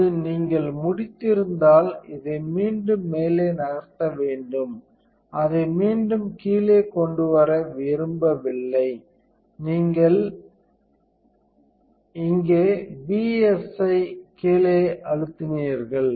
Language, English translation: Tamil, Now, if you are done you want to move this back up and you do not want to bring it back down, this is where you pressed BSI bottom